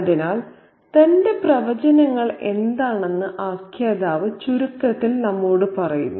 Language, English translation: Malayalam, So, the narrative tells us in brief what are his predictions